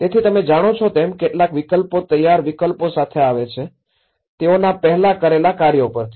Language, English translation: Gujarati, So, some of the options you know that they come with a ready made options either from what they have already done before